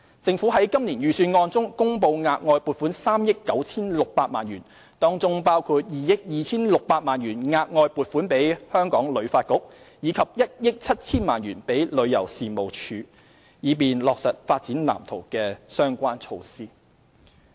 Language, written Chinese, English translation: Cantonese, 政府在今年預算案中公布額外撥款3億 9,600 萬元，當中包括2億 2,600 萬元額外撥款給旅發局，以及1億 7,000 萬元予旅遊事務署，以便落實《發展藍圖》的相關措施。, In the Budget this year the Government announced that it will allocate an additional 396 million to the tourism industry of which 226 million will be provided for HKTB and 170 million will be provided to the Tourism Commission TC for the implementation of the relevant measures of the Development Blueprint